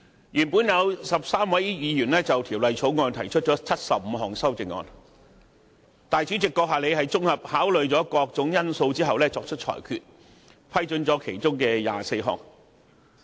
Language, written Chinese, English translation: Cantonese, 原本有13位議員就《條例草案》提出75項修正案，主席閣下綜合考慮各種因素後作出裁決，批准議員提出其中24項。, Of the 75 amendments to the Bill initially proposed by 13 Members 24 were ruled admissible by our Honourable President after comprehensive consideration of various factors